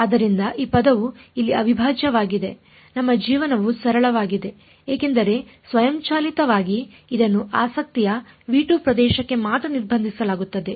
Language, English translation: Kannada, So, this term this integral over here our life has become simple because automatically it is restricted only to the region of interest v 2